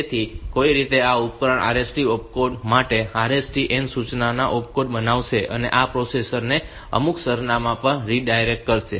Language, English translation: Gujarati, So, somehow this device will produce an opcode for RST opcode, for RST n instruction and this will redirect the processor to some address